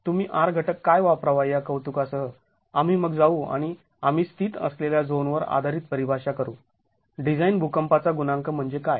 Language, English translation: Marathi, So, with an appreciation of what R factor should you use, we then go and define depending on the zone we are sitting in what the design seismic coefficient is